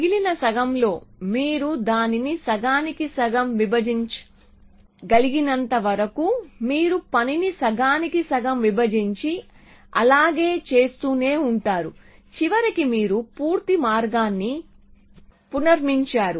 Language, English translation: Telugu, In the other half, but as long as you can divide it roughly half you will split the work half and half and you will keep doing that till f eventually reconstructed the path the full path